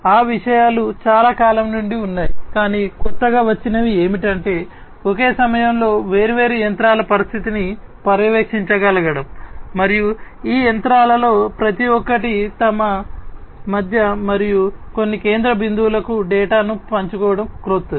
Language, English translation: Telugu, So, those things have been there since long, but what has been what has come up to be new is to be able to monitor the condition of different machines at the same time and having each of these machines share the data between themselves and to some central point is something that is newer